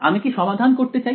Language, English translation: Bengali, Which I want to solve for